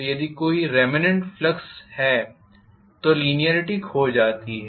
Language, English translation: Hindi, So if there is a remnant flux, the linearity is lost